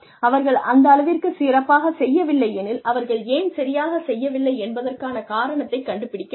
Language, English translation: Tamil, If they are not doing so well, reasons should be found out, for why they are not doing well